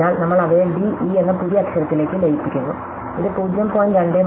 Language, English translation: Malayalam, So, we merge them into the new letter d, e and this is a frequency 0